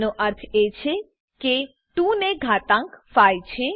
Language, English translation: Gujarati, This means that 2 is raised to the power of 5